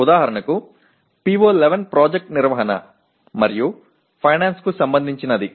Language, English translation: Telugu, For example PO11 is related to project management and finance